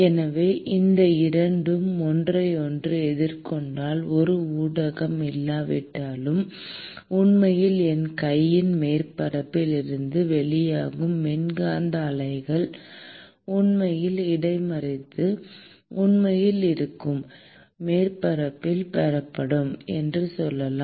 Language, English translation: Tamil, And so, if these 2 are facing each other, then even in the absence of a medium, the electromagnetic waves which is actually emitting from the surface of my hand let us say, would actually intercept and be received by the surface which is actually this paper here